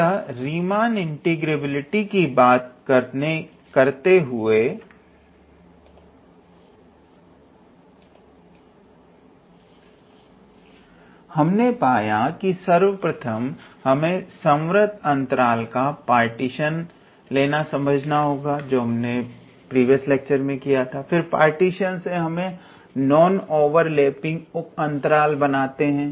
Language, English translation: Hindi, So, in order to talk about the Riemann integrability, you see that we had to first look into the concepts of partition that, how you get the partition of a closed interval, then from that partition we formed non overlapping sub intervals based on those sub intervals